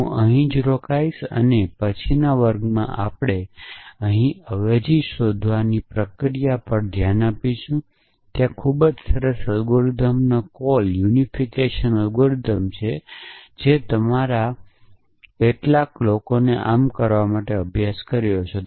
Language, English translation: Gujarati, So, I will stop here and in the next class we will look at this process of finding the substitution here and there is a very nice algorithm call unification algorithm which some of you must have studied for doing so